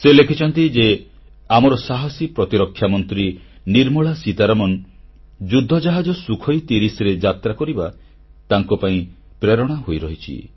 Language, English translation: Odia, He writes that the flight of our courageous Defence Minister Nirmala Seetharaman in a Sukhoi 30 fighter plane is inspirational for him